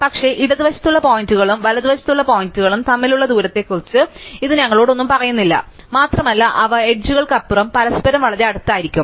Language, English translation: Malayalam, But, this does not tell us anything about distances between points on the left and points on the right and they could very well be points very close to each other across the boundary